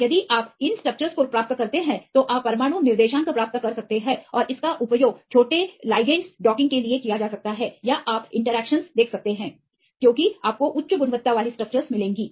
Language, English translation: Hindi, And if you get these structures you can get the atomic coordinates and this can be used for docking of small ligands or you can see the interactions, because you will get the high quality structures